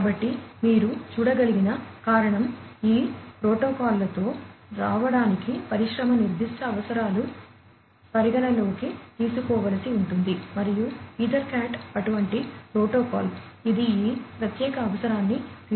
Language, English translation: Telugu, So, that is the reason as you can see, industry specific requirements will have to be taken into account in order to come up with these protocols and EtherCAT is one such protocol, which cater to this particular need